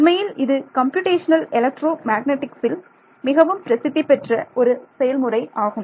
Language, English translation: Tamil, It is in fact, one of the most popular methods in Computational Electromagnetics right